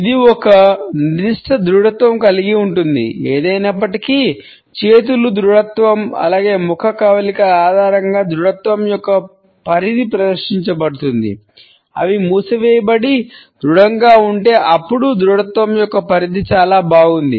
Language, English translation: Telugu, It does have a certain rigidity; however, the extent of rigidity is displayed on the basis of the rigidity of arms, as well as the facial expressions; if they are closed and rigid then the extent of rigidity is great